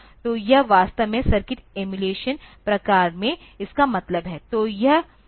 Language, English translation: Hindi, So, this is exactly what is meant by this in circuit emulation sort of thing